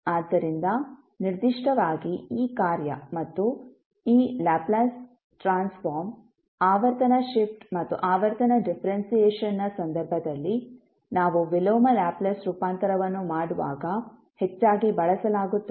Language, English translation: Kannada, So, particularly this function and this, the Laplace Transform, in case of frequency shift and frequency differentiation will be used most frequently when we will do the inverse Laplace transform